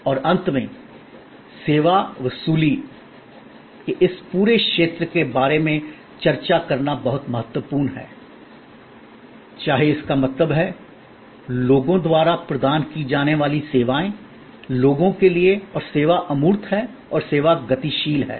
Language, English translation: Hindi, And lastly, it is very important to discuss about this whole area of service recovery, whether that means, a services provided by people, for people and service is intangible and service is dynamic